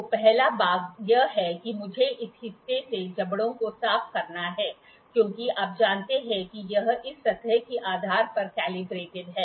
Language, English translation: Hindi, So, the first part is I have to clean the jaws from this part because you know it is calibrated based upon this surface